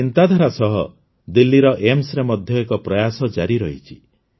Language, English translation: Odia, With this thought, an effort is also being made in Delhi's AIIMS